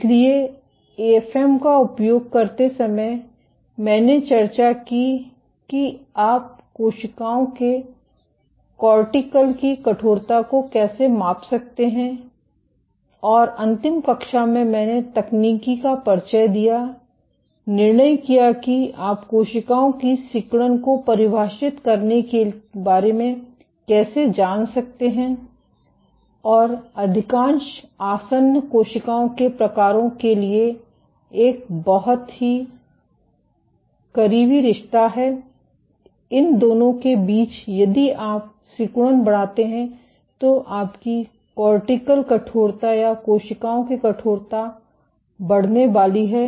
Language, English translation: Hindi, So, while using the AFM I discussed how you can measure cortical stiffness of cells, and in the last class I introduced the techniques decided how you can go about quantifying contractility of cells and there is for most adherent cell types there is a very close relationship between the two, in that if you increase contractility your cortical stiffness or stiffness of cells is going to increase